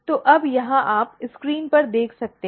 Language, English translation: Hindi, So, now here you on the screen you can see